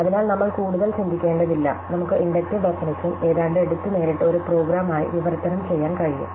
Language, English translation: Malayalam, So, we do not have to think much, we can almost take the inductive definition and directly translate it as a program